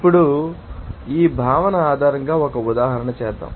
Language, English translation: Telugu, Now, let us do an example based on this concept